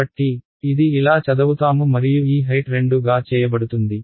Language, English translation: Telugu, So, it is going to be read like this and this height is being forced to be 2